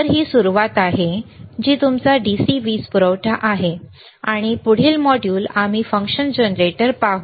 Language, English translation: Marathi, So, this is the starting, which is your DC power supply, and next module we will see the function generator, all right